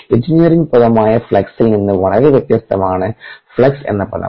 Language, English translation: Malayalam, the term flux is very different from the engineering term flux